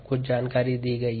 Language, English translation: Hindi, some information is given ah